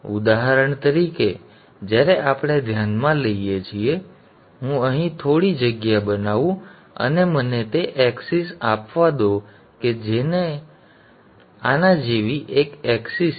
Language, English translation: Gujarati, For example, when we consider, let me make some space here, yeah, and let me have the axis, let us have one axis like this and another axis like this